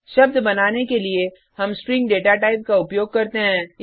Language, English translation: Hindi, To create a word, we use the String data type